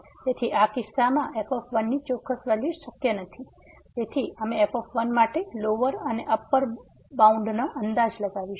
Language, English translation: Gujarati, So, in this case the exact value of is not possible so, we will estimate the lower and the upper bound for